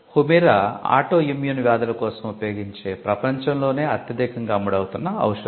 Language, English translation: Telugu, Humira is a biologic and it is the world’s largest selling drug which is used for autoimmune diseases